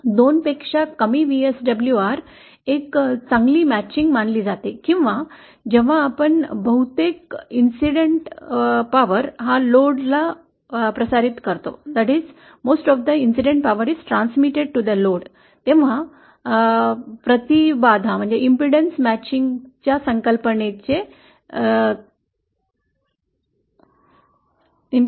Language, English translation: Marathi, VSWR less than 2 is considered a good matching or as we saw from the concept of impedance matching that when most of the incident power is transmitted to the load